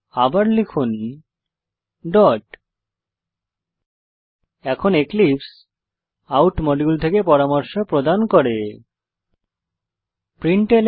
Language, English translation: Bengali, Now Eclipse will provide suggestions from the out module